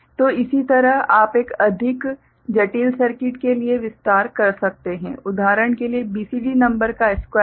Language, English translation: Hindi, So, similar thing you can extend for a more complex circuit and you know for example, squaring of a BCD number right